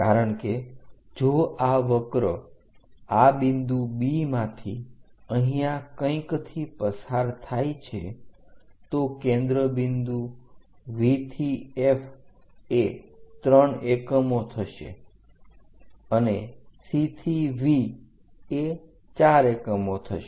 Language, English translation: Gujarati, So, focal point to any point on the curve, because if this curve pass through this point B somewhere here the focal point V to F will be 3 units and C to V will be 7 unit4 units